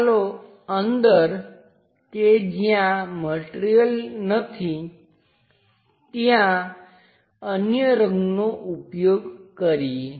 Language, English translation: Gujarati, Let us use other color inside of that material is not present